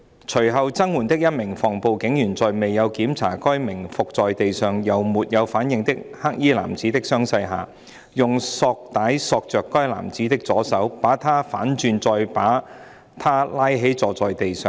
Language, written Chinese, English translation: Cantonese, 隨後增援的一名防暴警員在未有檢查該名伏在地上又沒有反應的黑衣男子的傷勢下，用索帶索着該男子的左手，把他反轉再把他拉起坐在地上。, Without examining the injuries of the black - clad man who was lying face down on the ground and unresponsive an anti - riot police officer who subsequently arrived for reinforcement used plastic strings to tie the left hand of that man turned him over and pulled him up to sit on the ground